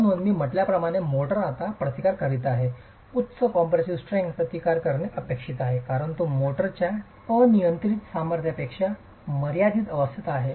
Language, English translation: Marathi, So as I said, the motor is now resisting, is expected to resist a higher compressive strength because it is in a confined state than the uniaxial compressive strength of the motor itself